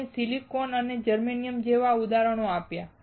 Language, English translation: Gujarati, We gave examples such as Silicon and Germanium